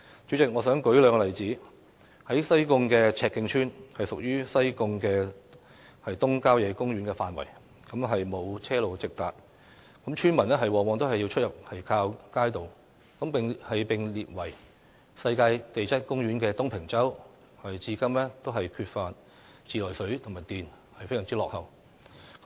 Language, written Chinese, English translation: Cantonese, 主席，我想舉兩個例子：西貢赤徑村屬於西貢東郊野公園的範圍，沒有車路直達，村民出入往往要靠街渡；而被列為世界地質公園的東平洲，至今仍缺乏自來水和電，非常落後。, President I want to cite two examples in the case of Chek Keng Village Sai Kung which is situated within Sai Kung East Country Park villagers often have to use the kaito ferry service to enter or leave the village to which there is no direct vehicular access; and in the case of Tung Ping Chau a designated Global Geopark it is still very backward today lacking running water and electricity